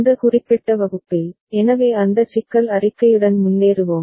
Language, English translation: Tamil, And in this particular class, so we shall move ahead with that problem statement